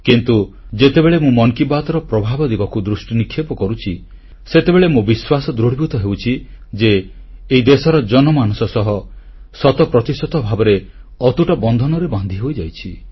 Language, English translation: Odia, But whenever I look at the overall outcome of 'Mann Ki Baat', it reinforces my belief, that it is intrinsically, inseparably woven into the warp & weft of our common citizens' lives, cent per cent